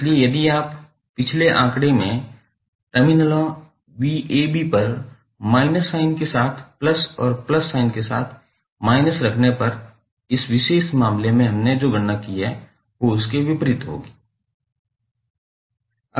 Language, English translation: Hindi, So, you can simply say, if you replace in the previous figure plus with minus sign minus with plus sign v ab will be opposite of what we have calculated in this particular case